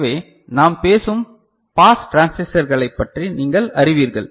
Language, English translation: Tamil, So, that is you know the pass transistors that we are talking about ok